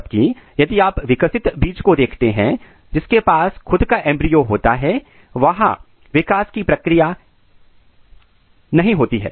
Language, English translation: Hindi, Whereas, if you look the mature seed which contains our embryo there is not much development occurs